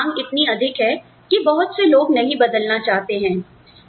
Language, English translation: Hindi, The demands of the job are, so high, that not many people, want to change